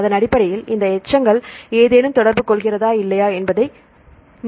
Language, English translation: Tamil, So, based on that you can see whether any these residues interact or not